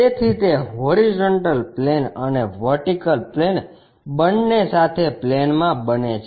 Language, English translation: Gujarati, So, that it becomes in plane with that of both horizontal plane and vertical plane